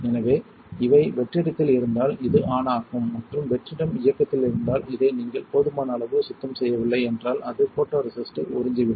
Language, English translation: Tamil, So, if these are on the vacuum is on and if the vacuum is on and you do not clean this adequately it is going to suck in photoresist